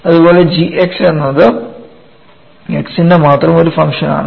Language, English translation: Malayalam, Similarly, g x is a function of x only